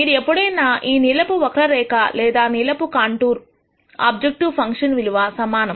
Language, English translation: Telugu, So, wherever you are on this blue curve or the blue contour the objective function value is the same